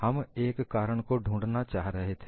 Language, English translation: Hindi, We were trying to find out a reason